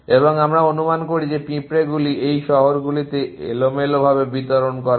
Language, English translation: Bengali, And we assume that is ants kind of distributed randomly across these cities